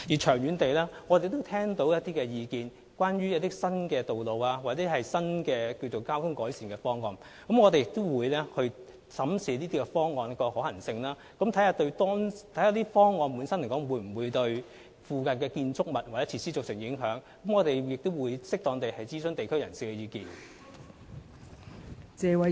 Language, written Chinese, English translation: Cantonese, 長遠而言，我們聽到一些關於新道路和新交通改善方案的意見，我們也會審視這些方案的可行性，以及研究這些方案會否對附近建築物或設施造成影響，並且會適當地諮詢地區人士的意見。, In the long run we have heard some views on new roads and traffic improvement proposals . We will also examine the feasibility of these proposals and study if these proposals will have any impacts on nearby structures or facilities . Moreover members of the community will be consulted in an appropriate manner